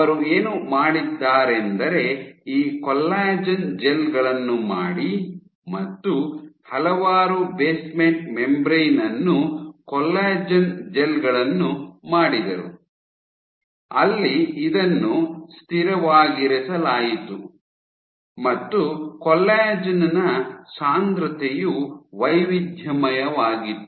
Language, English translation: Kannada, So, she made a range of basement membrane, collagen gels collagen 1 gels, where this was kept constant and the concentration of collagen was varied